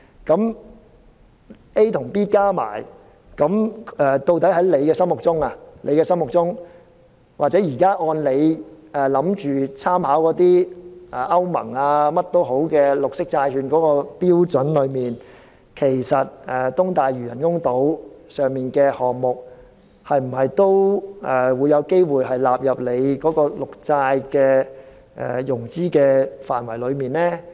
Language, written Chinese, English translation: Cantonese, 那麼 ，A 和 B 加起來，究竟在局長的心目中，又或現時按照他打算參考的歐盟或其他有關綠色債券的標準，其實東大嶼人工島上的項目是否也有機會納入綠色債券的融資範圍呢？, So considering A and B together my question is In the mind of the Secretary or according to the standard of EU or other standards for green bonds from which he plans to draw reference do the projects on the artificial islands in East Lantau also stand a chance to be included in the areas for which finance can be secured through the issuance of green bonds?